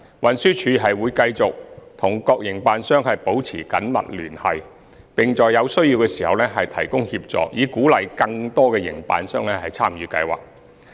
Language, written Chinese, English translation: Cantonese, 運輸署會繼續與各營辦商保持緊密聯繫，並在有需要時提供協助，以鼓勵更多營辦商參與計劃。, With a view to encouraging more operators to join the Scheme TD will continue to liaise closely with operators and provide necessary assistance as appropriate